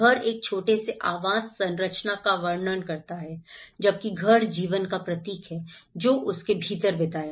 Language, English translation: Hindi, The house or a small dwelling describes the structure whereas, the home is symbolic of the life spent within it